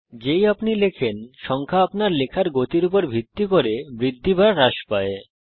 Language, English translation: Bengali, As you type, the number increases or decreases based on the speed of your typing